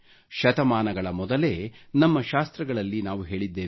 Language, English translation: Kannada, Our scriptures have said centuries ago